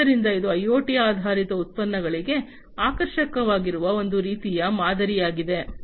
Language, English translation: Kannada, So, this is a type of model that is attractive for IoT based products